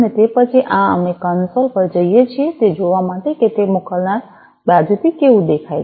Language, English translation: Gujarati, So, after this we go to this console to see that you know how it looks like from the sender side